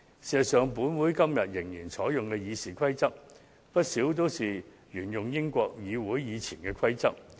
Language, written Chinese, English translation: Cantonese, 事實上，本會今天仍然採用的《議事規則》，不少也是沿用英國國會以前的規則。, As a matter of fact many of the rules in the RoP still in use in this Council today are adopted from those previously used in the British Parliament